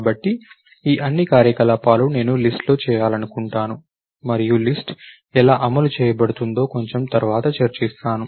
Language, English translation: Telugu, So, all these operations if I want to perform on the list, we will not yet talked about, how the list is going to be implemented, we will do that a little later